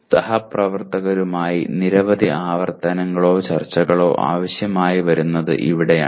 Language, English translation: Malayalam, And this is where it requires maybe several iterations or discussions with colleagues